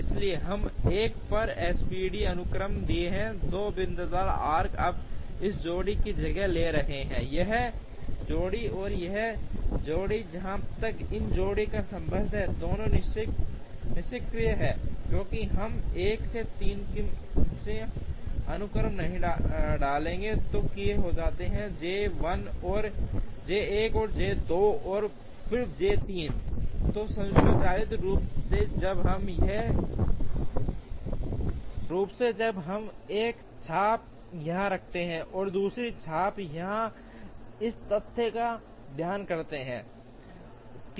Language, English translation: Hindi, So, for the SPT sequence on M 1, the two dotted arcs are now replacing this pair, this pair, and this pair as far as this pair is concerned both of them are inactive, because we will not put 1 to 3 the sequence in, which it happens is J 1, and then J 2, and then J 3